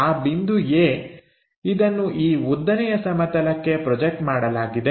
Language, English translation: Kannada, The point A projected onto this vertical plane